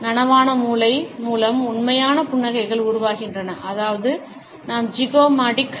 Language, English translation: Tamil, Genuine smiles are generated by when conscious brain which means we are zygomatic